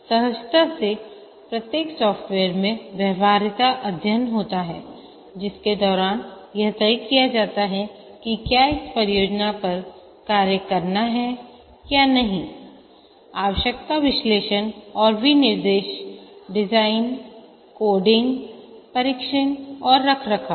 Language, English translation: Hindi, Intuitably every software has a feasibility study during which it is decided whether to take up this project or not the requirement analysis design, coding, testing and maintenance